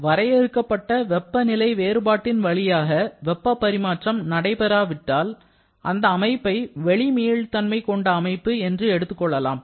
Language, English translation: Tamil, Similarly, when there is no heat transfer through a finite temperature difference, then we call the system to be externally reversible